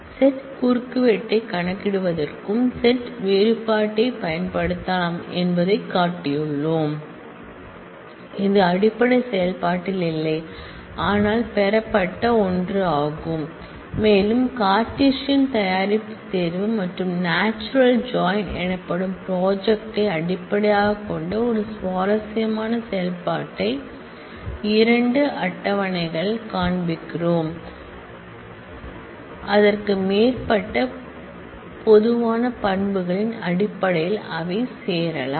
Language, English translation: Tamil, We have shown that set difference can be used to also compute set intersection, it is not in the fundamental operation, but is the derived 1 and we have shown a very interesting operation based on Cartesian product selection and projection called natural join where 2 tables can be joined based on 1 or more common attributes they have